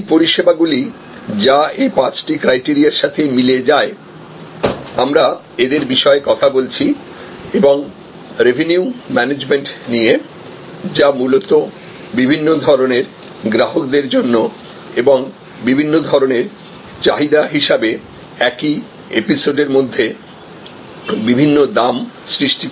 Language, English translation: Bengali, These are services, which match these five criteria, which we are talked about and a revenue management, which is basically charging different prices for different types of customers and different types of demands within the same episode